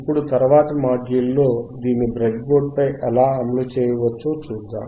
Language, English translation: Telugu, Now, in the next module, let us see how we can implement this on the breadboard